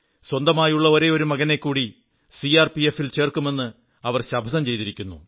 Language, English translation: Malayalam, She has vowed to send her only son to join the CRPF